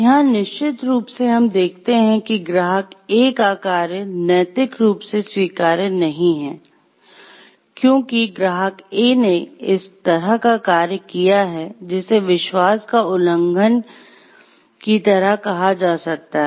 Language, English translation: Hindi, So, of course, what we see that the actions of client A over here, is not morally permissible as the client A has violated; like acted in a way which can be called like the breach of trust